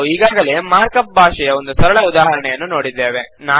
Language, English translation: Kannada, We already saw one simple example of the mark up language